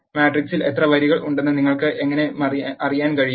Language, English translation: Malayalam, How can you know how many rows are there in the matrix